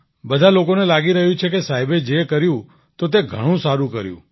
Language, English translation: Gujarati, Everyone is feeling that what Sir has done, he has done very well